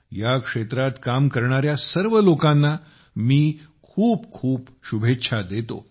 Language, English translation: Marathi, I wish all the very best to all the people working in this field